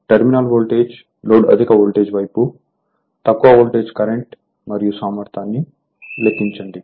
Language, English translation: Telugu, Calculate the terminal voltage or load that is on high voltage side, low voltage current and the efficiency right